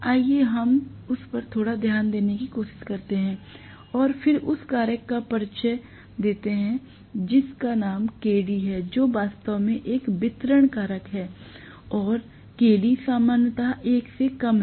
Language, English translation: Hindi, Let us try to take a little bit of look into that and then that introduces a factor called Kd which is actually a distribution factor and Kd is generally less than 1